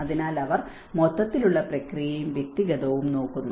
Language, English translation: Malayalam, So, they look at the overall process as well as individual